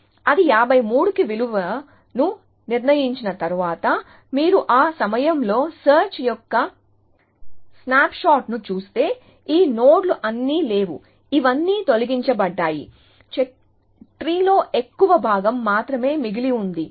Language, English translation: Telugu, So, you can see that, once it has devises value to 53, if you just look at the snap shot of the search at that point, all these nodes are not there, all these has been deleted, only that much of the tree remains